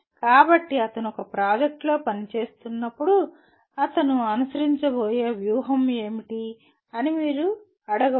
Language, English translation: Telugu, So you can ask what is the strategy that he is going to follow when he is working on a project